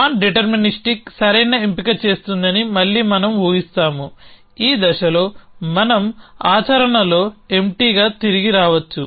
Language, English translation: Telugu, Again we assume that nondeterministic will make the right choice which is by at this stage we can return empty in practice